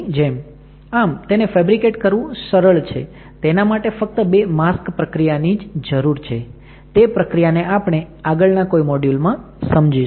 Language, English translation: Gujarati, So, easy to fabricate, it requires only two mask process to fabricate and this these things we will be learning in the course in next few modules